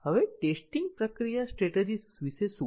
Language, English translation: Gujarati, Now, what about the test process strategy